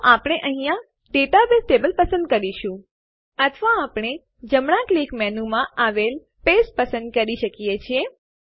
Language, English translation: Gujarati, So we can choose the database table here, Or we can choose Paste from the right click menu